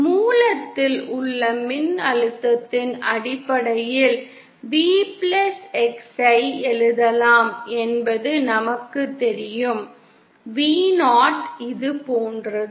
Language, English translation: Tamil, We know we can write V+x in terms of the voltage at the source, Vo like this